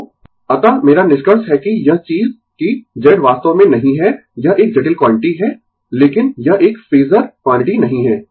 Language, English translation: Hindi, So, hence my conclusion is that this thing that Z actually is not it is a complex quantity, but it is not a phasor quantity right